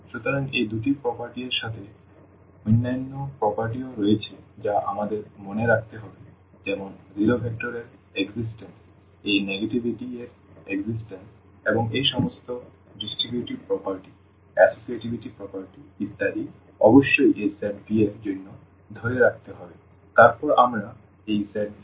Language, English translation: Bengali, So, with these two properties and there are other properties as well which we have to keep in mind like the existence of the zero vector, existence of this negativity and all other these distributivity property associativity property etcetera must hold for this set V then we call this set V as a vector space